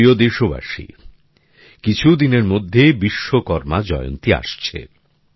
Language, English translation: Bengali, in the next few days 'Vishwakarma Jayanti' will also be celebrated